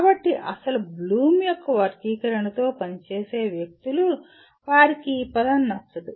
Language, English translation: Telugu, So people who work with original Bloom’s taxonomy, they do not like this word